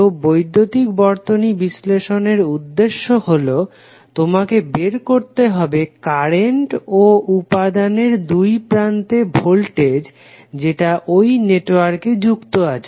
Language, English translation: Bengali, So the objective of the electrical circuit analysis is that you need to find out the currents and the voltages across element which is connect to the network